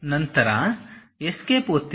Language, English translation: Kannada, Then press Escape